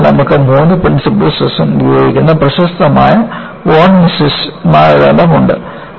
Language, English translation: Malayalam, So, you have the famous von Mises criterion, which uses all the three principal stresses